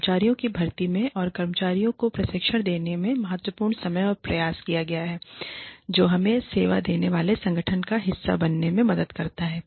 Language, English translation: Hindi, Significant amount of time and effort, has gone into the recruitment of employees, and to training employees, into helping them, become a part of the organization that, we serve